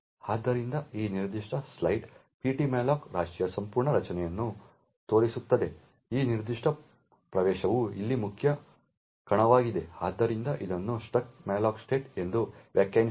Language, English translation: Kannada, So, this particular slide shows the entire structure of ptmalloc heap this particular entry over here is the main arena, so it is define as the struct malloc state